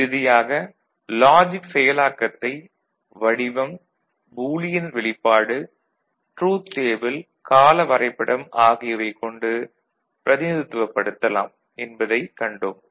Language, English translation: Tamil, And so to conclude, the logic circuit operation can be represented by symbol Boolean expression truth table timing diagram we have seen that